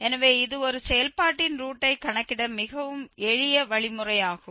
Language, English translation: Tamil, So, it is a very simple algorithm to compute the root of a function